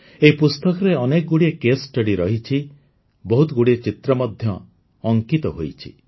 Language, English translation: Odia, There are many case studies in this book, there are many pictures